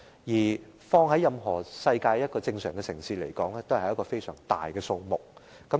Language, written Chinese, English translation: Cantonese, 即使放於世上任何一個正常城市，這也是一個相當大的數目。, This is a considerably large number in any normal city around the world